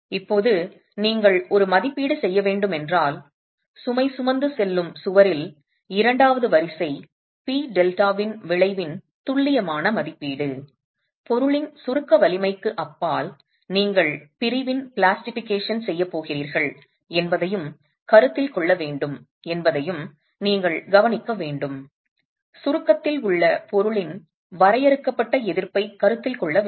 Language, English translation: Tamil, Now if you were to make an estimate, an accurate estimate of the effect of second order P delta in the load carrying wall, you need to consider the fact that beyond the compressive strength of the material you are going to have plastication of the section and that needs to be considered, a finite resistance of the material in compression needs to be considered